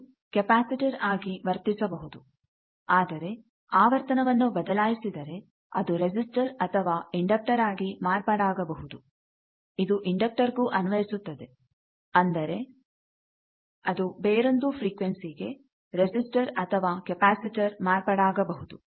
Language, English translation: Kannada, It can be behaving as a capacitor, but if you change the frequency it may also become a resistor or an inductor, the same thing for an inductor becoming resistor capacitor other frequency